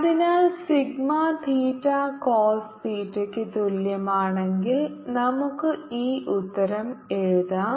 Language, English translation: Malayalam, so if sigma theta is equal to cos theta, you can write this answer